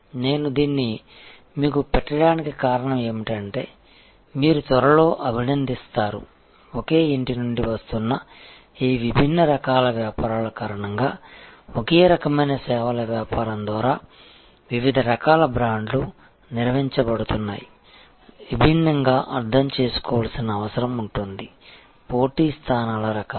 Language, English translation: Telugu, The reason I am putting this to you is that, you will appreciate soon, that because of this different types of businesses coming from the same house, different types of brands being managed by the same services business, there will be a necessity to understand the different types of competitive positions